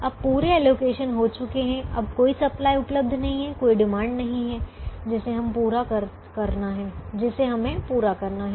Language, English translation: Hindi, now there is no supply that is available, there is no demand that now has to be met